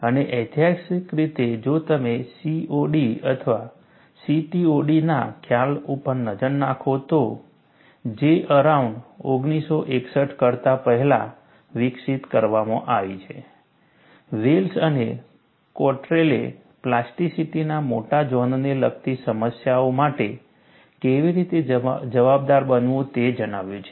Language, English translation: Gujarati, Rice and historically, if you look at, the concept of COD or CTOD has been developed earlier than J; around 1961, Wells and Cottrell have reported, how to account for problems involving larger zones of plasticity